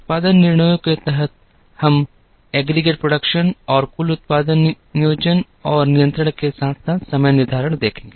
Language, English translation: Hindi, Under production decisions, we will look at aggregate production, planning and control as well as scheduling